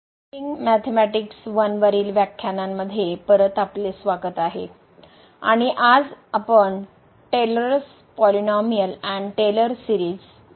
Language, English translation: Marathi, Welcome back to the lectures on Engineering Mathematics I and today’s we will learn Taylor’s Polynomial and Taylor Series